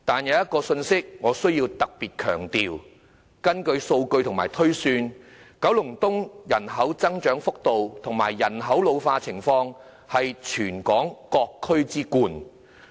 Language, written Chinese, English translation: Cantonese, 我必須特別強調一點，根據數據及推算，九龍東人口增長幅度和人口老化情況是全港各區之冠。, I must stress that according to data and projections the rates of population increase and population ageing of Kowloon East rank the highest compared among all districts in Hong Kong